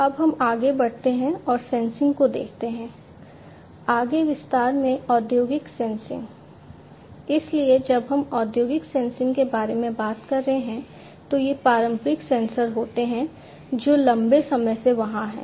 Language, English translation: Hindi, So, when we talk about industrial sensing there are these conventional sensors that have been there since long